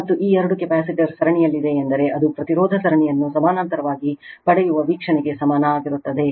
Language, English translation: Kannada, And these two capacitor are in series means it is equivalent to the view obtain the resistance series in parallel